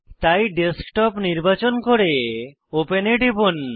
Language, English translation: Bengali, So, select Desktop and click on the Open button